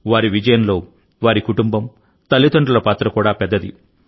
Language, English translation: Telugu, In their success, their family, and parents too, have had a big role to play